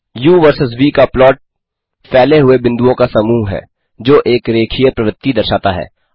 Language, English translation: Hindi, The plot of u versus v is a bunch of scattered points that show a linear trend